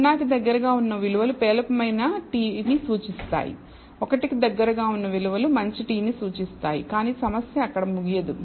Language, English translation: Telugu, So, values close to 0 indicates a poor t, values close to one indicates a good t, but the problem does not end there